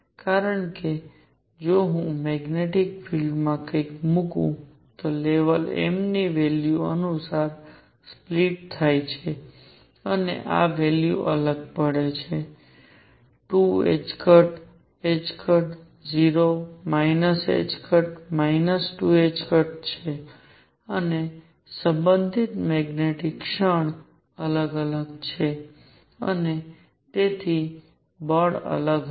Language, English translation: Gujarati, Because if I put something in a magnetic field the levels split according to the m values and these values differ it could be 2 h cross, h cross, 0 minus h cross, minus 2 h cross, and the corresponding magnetic moment is also different and therefore, forces would be different